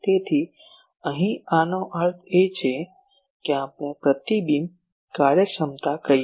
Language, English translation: Gujarati, So, here this that means we can say reflection efficiency